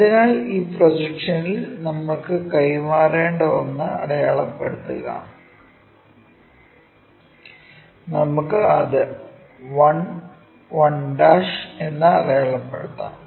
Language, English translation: Malayalam, So, on this projection mark that one which we have to transfer, let us mark that one as 1 and 1'